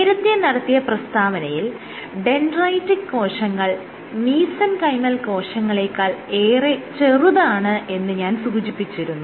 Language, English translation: Malayalam, So, remember that I made this statement dendritic cells are much smaller than mesenchymal cells